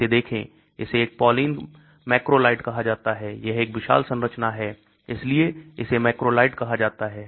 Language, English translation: Hindi, Look at this, this is called a polyene macrolide, it is a huge structure so it is called a macrolide